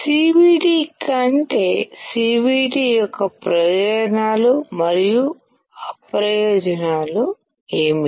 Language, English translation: Telugu, What are the advantages and disadvantages of CVD over PVD